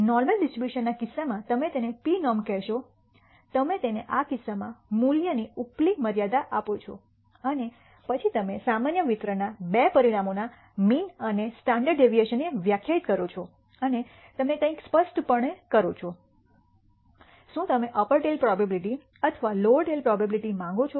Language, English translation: Gujarati, In the case of a normal distribution you call it p norm you give it the value upper limit in this case and then you define the mean and standard deviation of the two parameters of the normal distribution and you also specify something; whether you want the upper tail probability or the lower tail probability